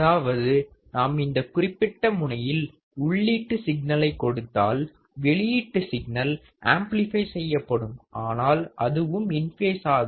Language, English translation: Tamil, That means, if I apply an input signal at this particular terminal right my output will be amplified, but in phase right